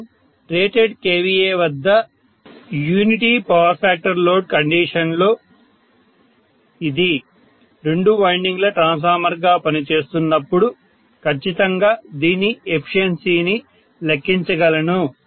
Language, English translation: Telugu, I can definitely calculate the efficiency under unity power factor load condition under rated kVA then it is operating as a two winding transformer, what it will be